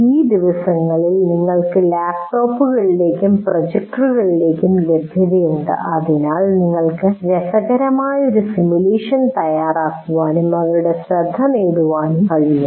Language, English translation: Malayalam, So some behavior, these days you do have access to laptops and projectors and so you can prepare a interesting simulation and get their attention